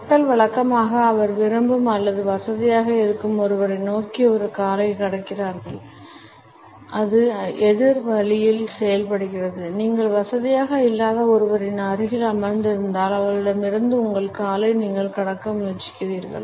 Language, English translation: Tamil, People usually cross a leg towards someone they like or are comfortable with and it also works the opposite way; if you are sitting beside somebody that you are not comfortable with; it is pretty likely you are going to cross your leg away from them